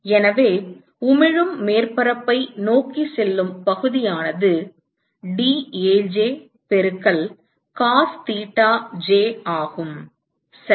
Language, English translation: Tamil, So, the area which is pointing towards the emitting surface is dAj into cos thetaj right